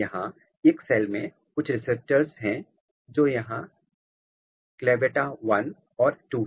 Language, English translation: Hindi, But, here to say that there are some receptors in one cell which is CLAVATA 1 and 2 here